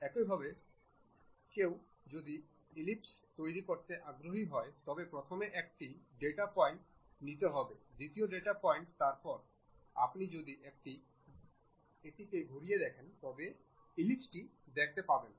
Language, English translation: Bengali, Similarly, if one is interested in constructing an ellipse first one data point one has to pick, second data point, then if you are moving it around you will see the ellipse